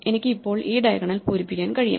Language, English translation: Malayalam, So I can now fill up this diagonal